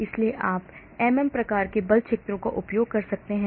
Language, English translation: Hindi, so you can use MM type of force fields